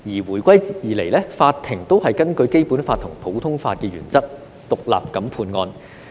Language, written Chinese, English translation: Cantonese, 回歸後，法庭也是根據《基本法》及普通法原則獨立判案。, Since the reunification the courts have been adjudicating cases independently in accordance with the Basic Law and the common law principles